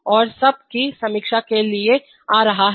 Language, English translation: Hindi, And coming to a lesson review